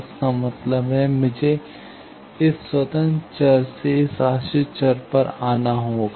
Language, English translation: Hindi, That means, I will have to connect come from this independent variable to this dependent variable